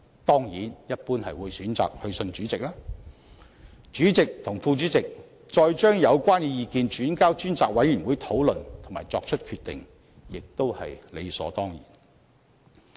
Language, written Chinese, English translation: Cantonese, 當然，一般都是會選擇致函主席，再由主席和副主席把有關意見轉交專責委員會討論及決定，也是理所當然的。, Certainly the letter will normally be written to the Chairman and then the Chairman or the Deputy Chairman will forward the views to members of the Select Committee for discussion and decision . This is also done as a matter of course